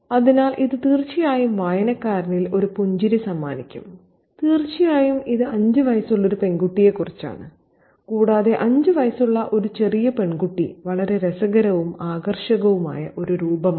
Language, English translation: Malayalam, So, it definitely would bring a smile to the reader and of course it is about a five year old girl and a loquacious five year old girl is also a very, very interesting and attractive figure